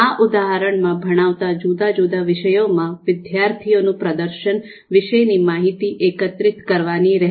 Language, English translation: Gujarati, So therefore, we need to get the information on student’s performance on different subjects that they are being taught